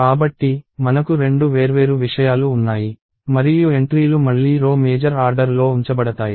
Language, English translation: Telugu, So, we have two different things and the entries are again going to be laid out in row major order